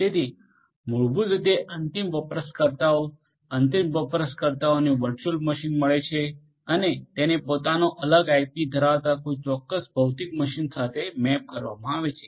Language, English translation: Gujarati, So, basically you know to the end user end user gets a virtual machine and is mapped to a particular physical machine ha having it is own separate IP